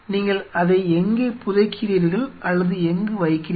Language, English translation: Tamil, Where you bury it or where you know put it to rest